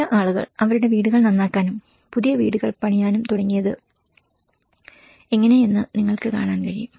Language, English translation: Malayalam, So what you can see like how some people have started repairing their houses and building the new houses